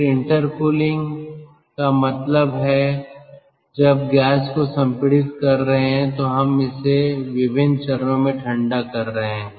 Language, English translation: Hindi, intercooling means when we are compressing the gas, we are having it in different stages and in between we are having cooling